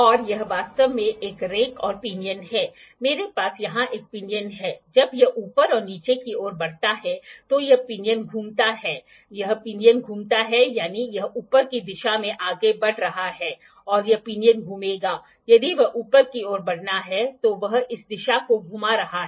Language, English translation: Hindi, And it is actually a rack and pinion, I have a pinion here, when it moves up and upward down this pinion rotates this pinion rotates that means, there it is moving in upward direction this pinion will rotate, if it is to moving upward direction it is rotating this direction